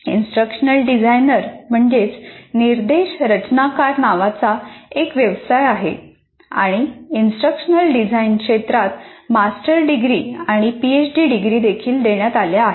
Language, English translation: Marathi, So there is even a profession called instructional designer and there are even master's degrees and PhD degrees given in the area of instructional design